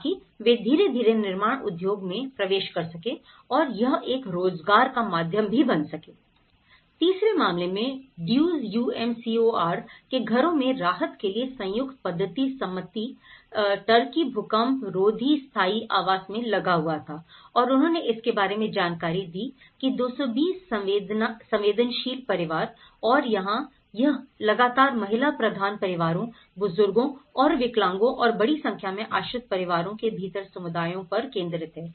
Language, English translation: Hindi, In the third case, Duzce UMCOR houses here, the United Methodist Committee on relief of Turkey was engaged in earthquake resistant permanent housing and it has provided for about 220 vulnerable families and here, it has mostly focused on the female headed households and the elderly and the disabled and the families with a large number of dependents within the communities